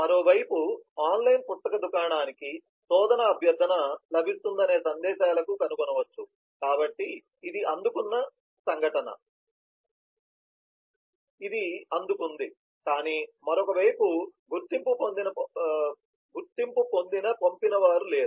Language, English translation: Telugu, on the other hand, it could be found messages that the online book store gets a search request, so this is the received event, but there is no identified sender on the other side